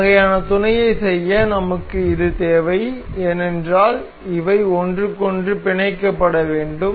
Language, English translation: Tamil, To do to do this kind of mate, we need this because these are supposed to be hinged to each other